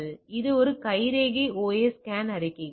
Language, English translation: Tamil, So, that is fingerprint OS scan reports